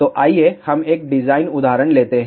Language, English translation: Hindi, So, let us take a designed example